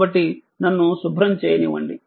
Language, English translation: Telugu, So, just let me clear it